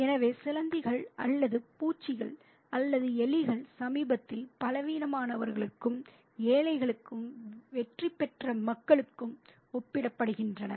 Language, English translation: Tamil, So the, or the vermin or the rats are compared to the weak and the poor and the conquered people in the society